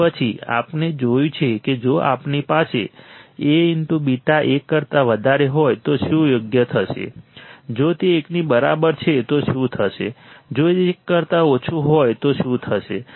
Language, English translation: Gujarati, And then we have seen that if we have A into beta greater than 1, what will happen right; if it is equal to 1, what will happen; if it is less than 1, what will happen